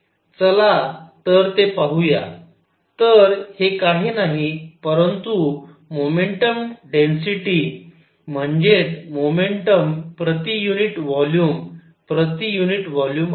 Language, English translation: Marathi, Let us see that; so, this is nothing, but momentum density that is momentum per unit volume per unit volume